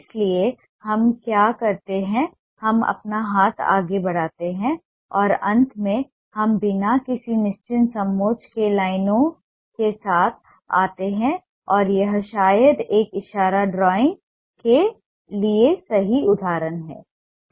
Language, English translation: Hindi, we make our hand move and finally we come up with lines with no definite contour and this is perhaps the right example for a gesture drawing